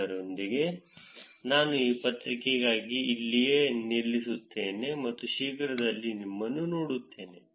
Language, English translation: Kannada, With that, I will stop here for this paper, and I will see you soon